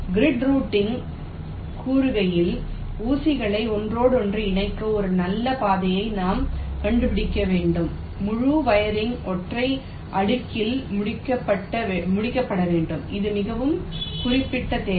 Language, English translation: Tamil, grid routing says that we have to find out a good path to interconnect the pins, and the entire wiring has to be completed on a single layer